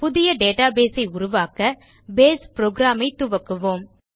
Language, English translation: Tamil, To create a new Database, let us first open the Base program